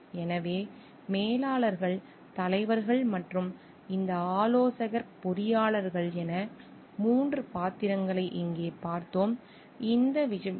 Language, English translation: Tamil, So, we have seen here 3 roles as managers, as leaders and this consultant engineers